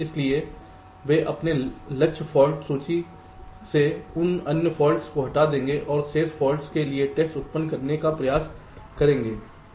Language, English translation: Hindi, so they will simply remove those other faults from their target for list and try to generate fault the tests for the remaining faults